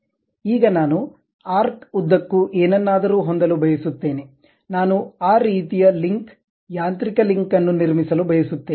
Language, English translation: Kannada, Now, I would like to have something like along an arc, I would like to construct that kind of link, mechanical link